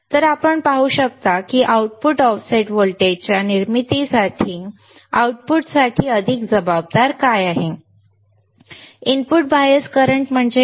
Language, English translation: Marathi, So, you can see that what is the more responsible for the output for producing the output offset voltage; input bias current is what